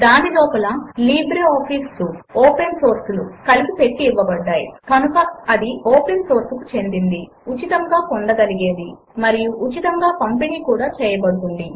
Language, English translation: Telugu, It is bundled inside LibreOffice Suite and hence it is open source, free of cost and free to distribute